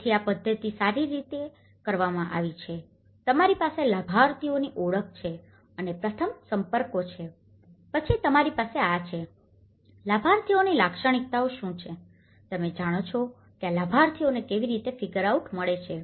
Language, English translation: Gujarati, So, this is how the methodology has been done, you have the identification of the beneficiaries and the first contacts, then you have these, what is characteristics of the beneficiaries, you know how do one figure out these beneficiaries